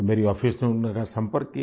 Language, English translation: Hindi, So my office contacted the person